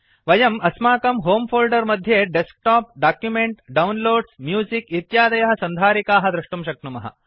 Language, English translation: Sanskrit, In our Home folder, we can see other folders such as Desktop, Documents, Downloads, Music,etc